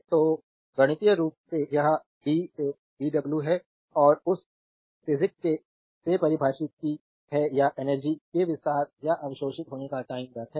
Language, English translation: Hindi, So, mathematically this is p dw by dt and from that from that physics the definition is power is the time rate of expanding or absorbing energy